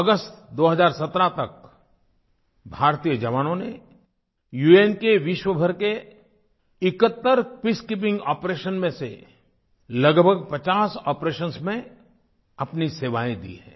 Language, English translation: Hindi, Till August 2017, Indian soldiers had lent their services in about 50 of the total of 71 Peacekeeping operations undertaken by the UN the world over